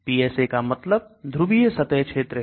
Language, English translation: Hindi, PSA means polar surface area